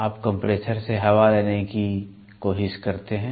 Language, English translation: Hindi, You try to take air from a compressor